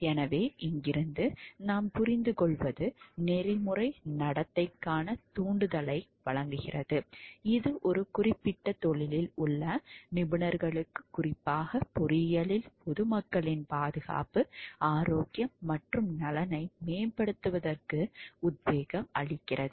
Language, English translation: Tamil, So, what we understand from here like the it provides a stimulation for ethical conduct, it gives an inspiration for the professionals in a particular profession to specially in engineering to promote the safety health and welfare of the public